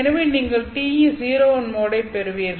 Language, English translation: Tamil, So you get T e 01 mode